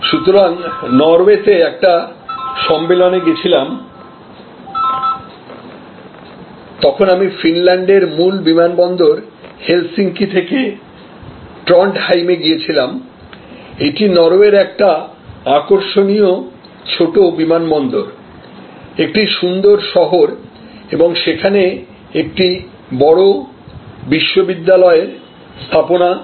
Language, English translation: Bengali, Recently, when I was there at a conference in Norway, I flew from Helsinki the main airport of Finland to Trondheim, this, a main an interesting small airport of Norway, a beautiful city and the seat of a major university there